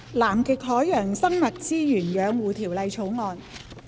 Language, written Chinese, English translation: Cantonese, 《南極海洋生物資源養護條例草案》。, Conservation of Antarctic Marine Living Resources Bill